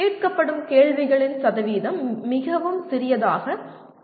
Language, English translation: Tamil, The percentage of questions that are asked will be much smaller